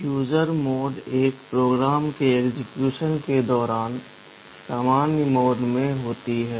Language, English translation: Hindi, The user mode is the normal mode during execution of a program